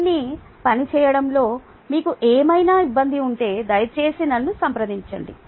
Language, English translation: Telugu, if you have any difficulty in working it out, please get back to me